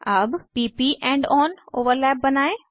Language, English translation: Hindi, Now to p p end on overlap